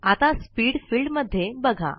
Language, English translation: Marathi, Look at the Speed field now